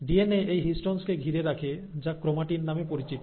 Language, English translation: Bengali, So you have the DNA which wraps around this histones to form what is called as chromatin